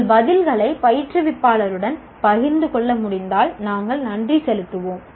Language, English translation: Tamil, And if you can share your responses with the instructor, we will be thankful